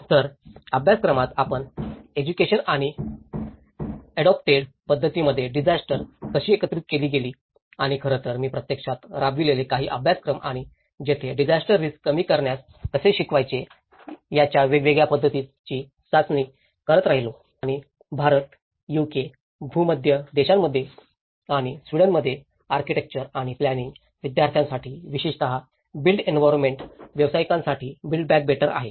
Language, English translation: Marathi, So, how disaster has been integrated in the curriculum, in the education and the methods which were adopted and in fact, some of the courses which were actually executed by me and where I keep testing different methods of how to teach the disaster risk reduction and build back better for the built environment professionals especially, for architecture and planning students in India, UK, Mediterranean countries and in Sweden